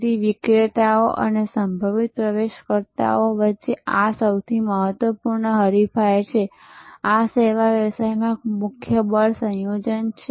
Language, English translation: Gujarati, So, this is the most important rivalry among sellers and potential entrants, this is a key force combination in service business